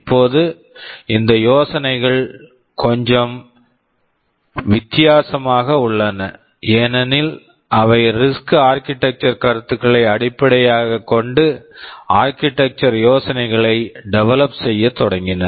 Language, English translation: Tamil, Now these ideas were little different because they started to develop the architectural ideas based on the reduced instruction set concept, RISC architecture concept ok